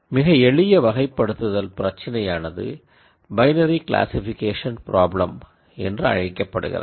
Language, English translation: Tamil, The simpler type of classification problem is what is called the binary classification problem